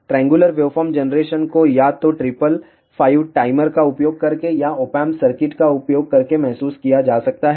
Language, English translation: Hindi, Triangular waveform generation can be realized either using by triple five timer or by using Op amp circuit